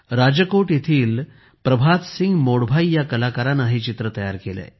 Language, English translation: Marathi, This painting had been made by Prabhat Singh Modbhai Barhat, an artist from Rajkot